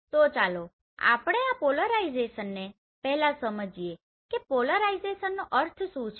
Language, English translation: Gujarati, So let us understand first this polarization what do you mean by polarization